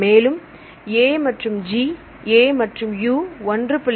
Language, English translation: Tamil, So, A and G, A and U is 1